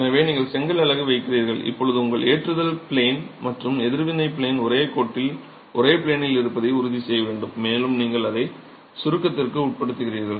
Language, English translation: Tamil, So, you place the brick unit and now you have to ensure that your loading plane and reaction plane are along the same line, along the same plane and you are subjecting into compression